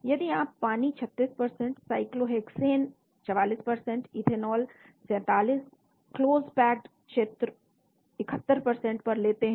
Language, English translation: Hindi, if you take water 36%, cyclohexane 44%, ethanol 47, close packed spheres 71%